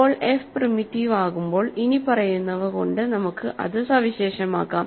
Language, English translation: Malayalam, Now, when is f primitive; we can characterized that by saying the following